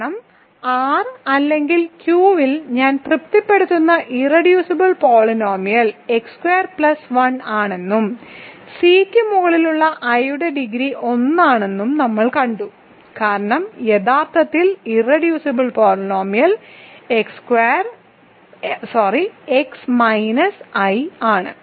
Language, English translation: Malayalam, Because we saw that the irreducible polynomial that i satisfies over R or Q is x squared plus 1 and what is the degree of i over C itself that is 1 actually because the irreducible polynomial is x minus i